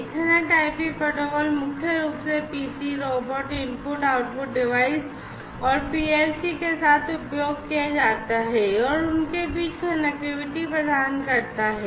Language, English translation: Hindi, And, this is mainly used Ethernet IP protocol is mainly used with PCs, robots, input output devices, PLCs and so on and connectivity between them